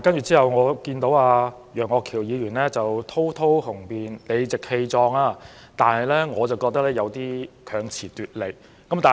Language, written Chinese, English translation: Cantonese, 之後我又聽到楊岳橋議員在發言時雄辯滔滔、理直氣壯，但卻認為他有點強詞奪理。, Mr Alvin YEUNG also spoke subsequently in an eloquent forceful and confident manner but I think he was just indulging himself in sophistry